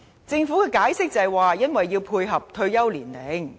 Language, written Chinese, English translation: Cantonese, 政府解釋說要配合退休年齡。, The Government explains that this is done to align with the retirement age